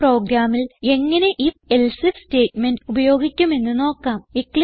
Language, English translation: Malayalam, We will see how the If…Else If statementcan be used in a program